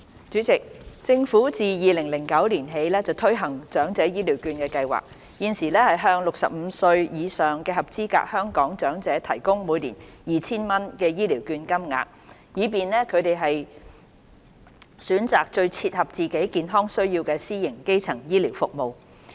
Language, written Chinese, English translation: Cantonese, 主席，政府自2009年起推行長者醫療券計劃，現時向65歲或以上的合資格香港長者提供每年 2,000 元醫療券金額，以便他們選擇最切合自己健康需要的私營基層醫療服務。, President the Government has implemented the Elderly Health Care Voucher Scheme the Scheme since 2009 . Currently the Scheme provides an annual voucher amount of 2,000 to eligible Hong Kong elders aged 65 or above to choose private primary health care services that best suit their health needs